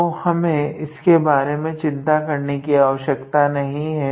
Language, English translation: Hindi, So, we do not have to worry about that